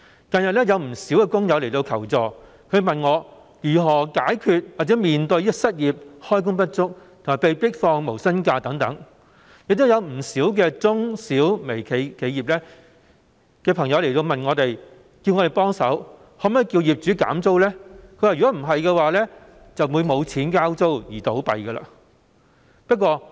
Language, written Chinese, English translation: Cantonese, 近日，不少工友向我求助，問及如何解決或面對失業、開工不足及被迫放無薪假等問題，亦有不少中、小和微型企業的朋友請我們幫忙向業主要求減租，否則他們便會因沒有錢交租而結業。, Recently many workers have come to me for assistance seeking my advice on how to deal with or face the problems of unemployment underemployment and being forced to take no - pay leave . Besides many friends from the micro small and medium enterprises MSMEs have sought our help in requesting property owners for rental reduction or else they have no money to pay rent and have to wind up their business